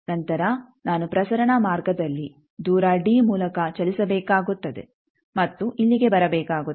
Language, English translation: Kannada, Then I will have to move in a transmission line by a distance d and come here